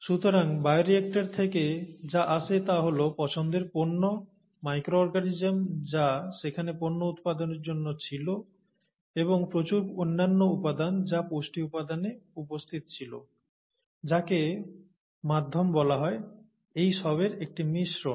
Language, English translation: Bengali, So what comes out of the bioreactor is a mixture of the product of interest, the micro organism that is there which is producing the product and a lot of other material which is present in the nutrients, the medium as it is called, and so on